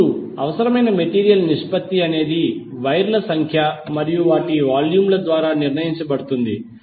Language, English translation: Telugu, Now the ratio of material required is determined by the number of wires and their volumes